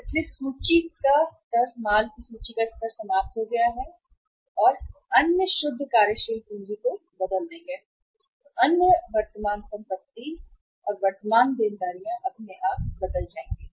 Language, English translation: Hindi, So inventory level of finished goods we will change ourselves and other net working capital, means other current assets and current liabilities will automatically change